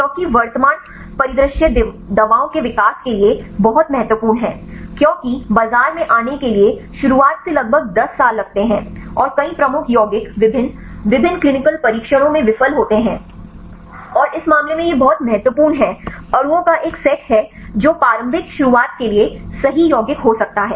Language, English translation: Hindi, Because the current scenario it is very important for the development of drugs, because it takes about 10 years from the beginning to come to the market and many lead compounds they fail in various different clinical trials, and in this case it is very important to have a set of molecules right which could be a lead compounds right for initial start